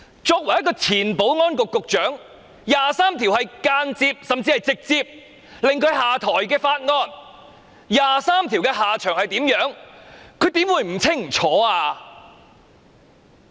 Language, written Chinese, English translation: Cantonese, 作為前保安局局長，"第二十三條"的法案當年更是間接甚至直接迫使她下台，"第二十三條"法案的下場是甚麼，她怎會不清楚？, As the former Secretary for Security and given that the Article 23 Bill indirectly led to her stepping down years ago how could she be uncertain about what happened to that Bill?